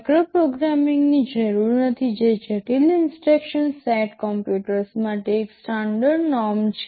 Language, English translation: Gujarati, TSo, there is no need for micro programming which that is a standard norm for the complex instruction set computers